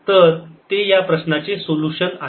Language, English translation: Marathi, so that is the solution of this problem